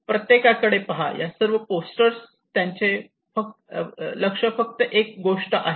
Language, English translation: Marathi, well, look at everyone look at all these posters their focus is only one thing